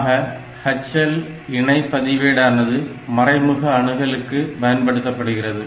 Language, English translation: Tamil, So, H L pair will be used as the indirect address